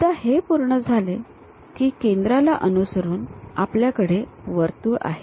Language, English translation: Marathi, Once that is done, with respect to center we have this circle